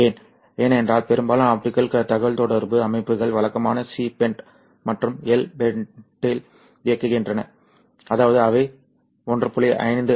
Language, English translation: Tamil, Because remember most optical communication systems are operating in the conventional C band and the L band which means they are operating from 1